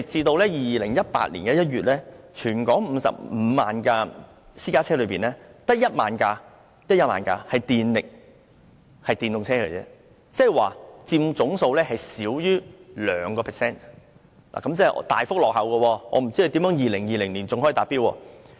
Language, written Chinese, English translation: Cantonese, 但是，截至2018年1月，在全港55萬輛私家車中只有1萬輛是電動車，即是佔總數少於 2%， 即是大幅落後於目標，我也不知如何在2020年達標。, But as at January 2018 only 10 000 of the 550 000 private cars were EVs . This is 2 % of the total meaning that we are falling behind the target . I really do not know how we can attain the target in 2020